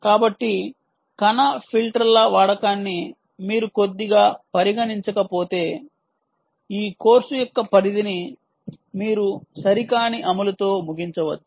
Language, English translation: Telugu, so, unless you consider use of particle filters a little out of scope in this course, ah, you may end up with an improper implementation